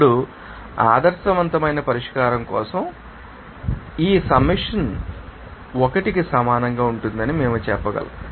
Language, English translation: Telugu, Now, for an ideal solution, we can say that this summation of this will be equal to 1